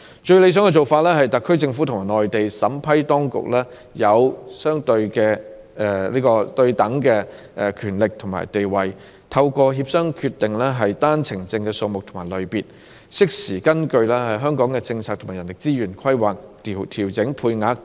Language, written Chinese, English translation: Cantonese, 最理想的做法是讓特區政府與內地審批當區擁有對等的權力和地位，透過協商決定單程證的數目和類別，適時根據香港的政策和人力資源規劃調整配額。, It would be most desirable to give the SAR Government and the competent authorities of the Mainland equal power and status for determining through negotiations the number and categories of OWPs to be issued thereby adjusting the OWP quota timely in accordance with the policy of Hong Kong and our planning of manpower resources